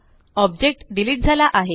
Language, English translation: Marathi, The object is deleted